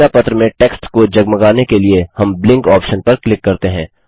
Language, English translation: Hindi, In order to blink the text in the newsletter, we click on the Blink option And finally click on the OK button